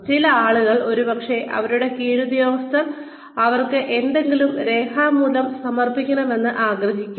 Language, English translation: Malayalam, Some people will probably, want their subordinates to submit, something in writing to them